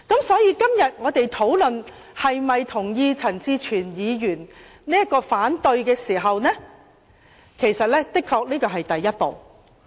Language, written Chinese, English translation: Cantonese, 所以，我們現在討論是否同意陳志全議員因反對譴責議案而提出的這項議案，的確是第一步。, Therefore we are now discussing whether we agree to Mr CHAN Chi - chuens motion moved to oppose the censure motion which is definitely the first step